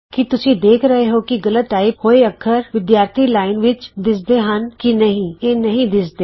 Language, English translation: Punjabi, Do you see that mistyped character displayed in the students line.It is not displayed